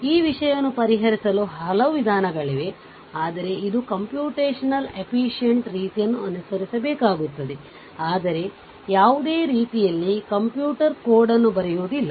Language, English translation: Kannada, There may be many method for solving such this thing, but we have to apply which will be computationally efficient, but any way we will not do any we will not write any computer code or anything